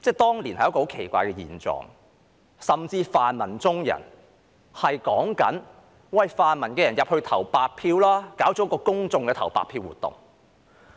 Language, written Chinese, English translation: Cantonese, 當年存在一個很奇怪的狀況，甚至泛民中人也鼓勵泛民支持者投白票，舉辦了一個公眾投白票的活動。, Back then the situation was weird . Even the pan - democrats encouraged their supporters to cast a blank vote and organized an event for the public to do so